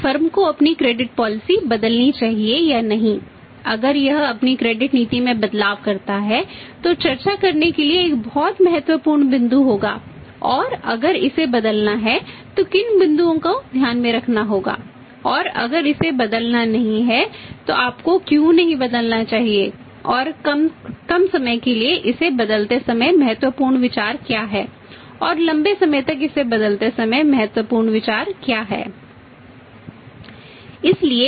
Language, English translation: Hindi, So, whether the firm should change its credit policy or not changes its credit policy that will be a very important point to be discussed and if it has to be changed then what points to be borne in mind and if it has not to be changed why you should not have to be changed and what are the important consideration while changing it for the short time